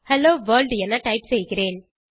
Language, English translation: Tamil, I will type hello world